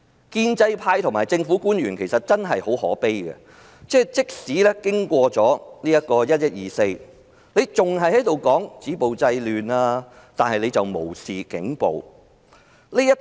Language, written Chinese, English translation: Cantonese, 建制派和政府官員真的很可悲，即使經過"十一二四"，還是繼續說止暴制亂，但無視警暴。, It is pathetic that the pro - establishment camp and government officials even after 24 November have continued to talk about stopping violence and curbing disorder while turning a blind eye to police brutality